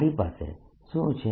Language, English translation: Gujarati, what do we have